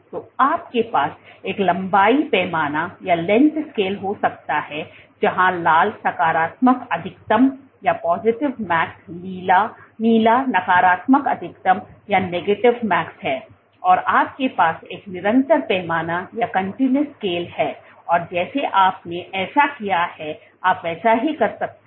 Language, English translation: Hindi, So, you can have a length scale where red is positive max blue is negative max, you have a continuous scale and just like you did this you can do the same thing